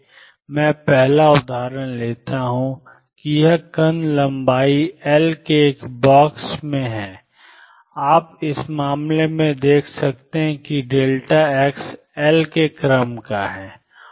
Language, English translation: Hindi, So, first example I take is this particle in a box of length L and you can see in this case delta x is of the order of L